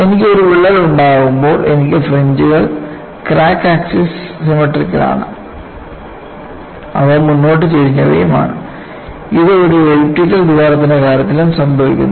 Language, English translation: Malayalam, When I have a crack,I have fringes symmetrical about the crack access, and they are also forward tilted, which is also happening in the case of an elliptical hole